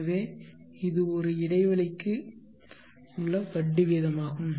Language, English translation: Tamil, Now the rate of interest for an interval of time